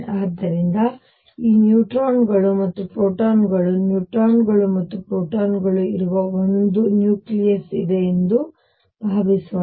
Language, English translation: Kannada, So, suppose there is a nucleus in which these neutrons and protons neutrons and protons are there